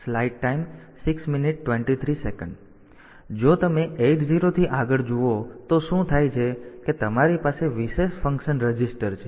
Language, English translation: Gujarati, So, if you look into 8 0 onwards then what happens is you have got this these are the special function registers